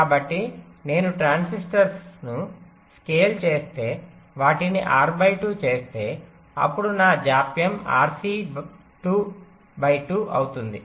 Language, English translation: Telugu, so if i scale up the transistor, make them bigger, lets say r by two, r by two, then my delay will become r, c by two right